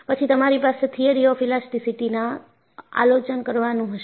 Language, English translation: Gujarati, Then, you will have Review of Theory of Elasticity